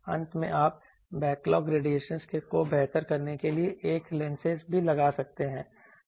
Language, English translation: Hindi, Finally, also you can put some lenses to better the backlog radiations